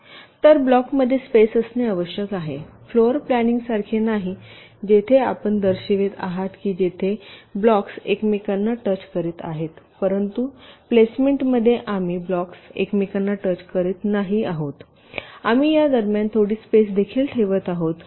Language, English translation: Marathi, is unlike floor planning where you are showing that the blocks where touching each other, ok, but in placement we are not showing the blocks is touching each other where